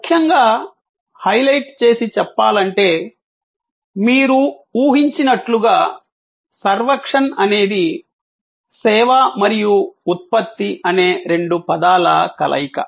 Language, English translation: Telugu, Particularly to highlight the point, as you can guess servuction is a combination of two words service and production